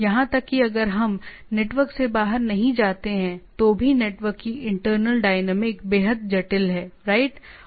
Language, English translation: Hindi, Even if we do not go outside the network itself, the internal dynamics of the network is extremely complicated, right